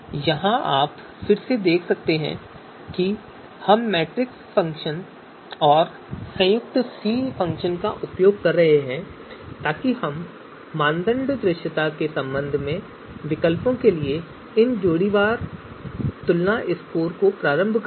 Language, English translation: Hindi, So here again you can see we are using matrix function and the combined function C function so that we can initialize these scores you know pairwise comparison scores for alternatives with respect to criterion visibility